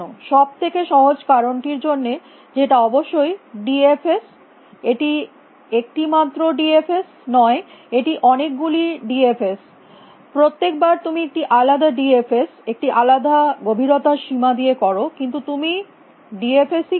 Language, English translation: Bengali, Same as d f s why for the simple reason that it is d f s of course, it is not one d f s it is many d f s 's every time you do a different d f s with a different depth bound,,, but you are doing d f s